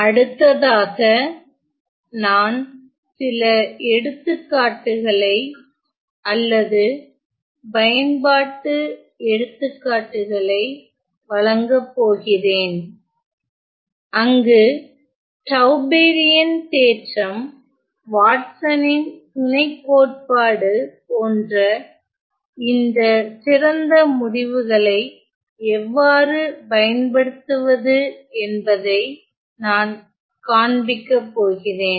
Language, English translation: Tamil, Moving on, I am going to provide some example for or application examples, where I am going to show how to use all these nice results like the Tauberian theorems the Watsons lemma